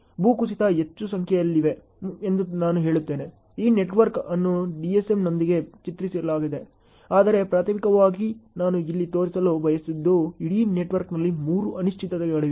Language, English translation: Kannada, I would say that landslides are more in number, this network was drawn with DSM; but primarily what I wanted to show here is there are three uncertainties which are encountered in the entire network